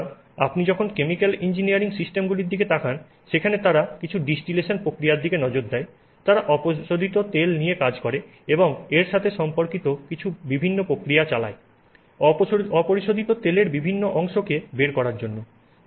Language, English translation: Bengali, So, when you look at chemical engineering systems where they look at say, you know, some distillation process, they are working with the crude oil and doing some various processes with respect to it to get out the various fractions of the crude oil, etc